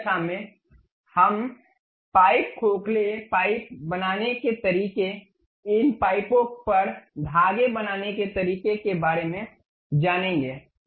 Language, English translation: Hindi, In the next class, we will know about how to make pipes, hollow pipes, how to make threads over these pipes